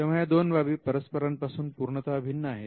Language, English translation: Marathi, So, these 2 things are completely different